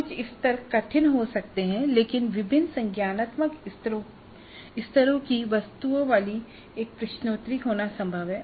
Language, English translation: Hindi, Higher levels may be difficult but it is possible to have a quiz containing items of different cognitive levels